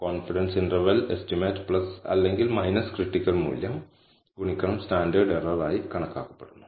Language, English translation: Malayalam, So, the confidence interval is computed as the estimate plus or minus the critical value into the standard error